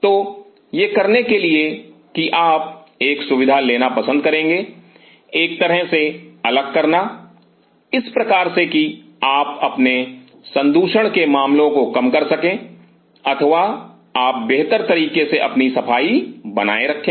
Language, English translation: Hindi, So, in order to do that you would prefer to have the facility kind of a spilt up in such a way that you minimize your contamination issues or you maintain your cleanliness in a better way